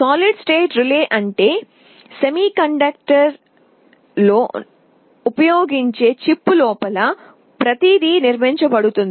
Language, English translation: Telugu, Solid state means everything is built inside a chip using semiconductor device